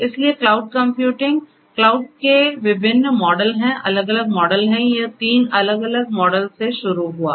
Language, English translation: Hindi, So, cloud computing; there are different models of cloud, there are different; different models, it started with three different models